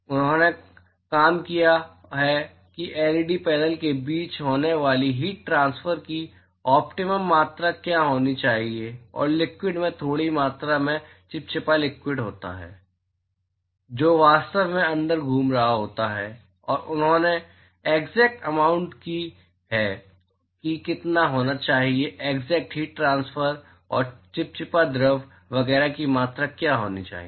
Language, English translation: Hindi, They have worked out what should be the optimum amount of heat transfer that should occur between the LED panel and the liquid there is a small amount of viscous liquid, which is actually circulating inside and they have made a precise calculation of how much should be the exact heat transfer and what should be the volume of the viscous fluid, etcetera